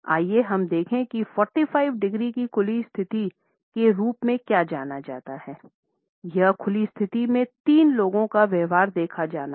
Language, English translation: Hindi, Let us look at what is known as 45 degree open position; in this open position we find that the behaviour of three people is to be viewed